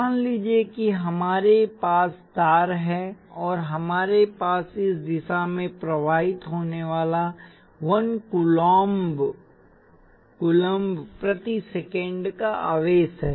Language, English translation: Hindi, Let say we have wire and we have 1 coulomb per second of charge flowing in this direction